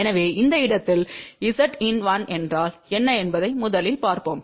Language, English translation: Tamil, So, let us see first what is Z in 1 at this point